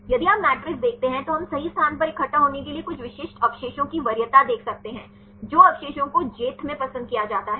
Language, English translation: Hindi, If you see the matrix we can see the preference of some specific residues for assemble to the jth position right; which residues are preferred in j